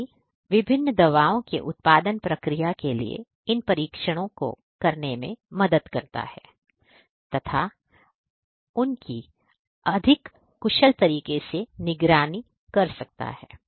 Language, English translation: Hindi, So, IoT can help, IoT can help in doing these trials for the production process of the different you know drugs and so on monitoring those in a much more efficient manner